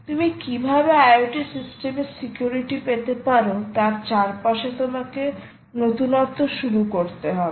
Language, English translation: Bengali, you have to start innovating, start looking around how you can get in security into the i o t systems